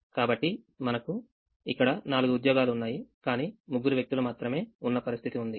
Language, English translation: Telugu, so here we have a situation where there are four jobs, but there are three people